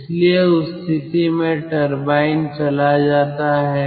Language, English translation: Hindi, so at that condition it goes to the turbine